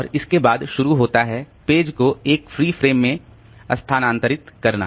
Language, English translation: Hindi, And after that it starts transferring the page to a free frame